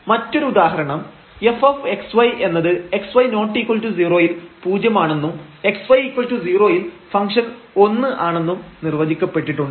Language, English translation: Malayalam, Another example here that f x y is defined at 0 when x y not equal to 0 and when x y the product is 0 then this function is 1